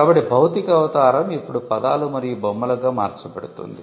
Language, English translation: Telugu, So, the physical embodiment now gets converted into words and figures